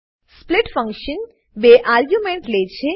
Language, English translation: Gujarati, split function takes two arguments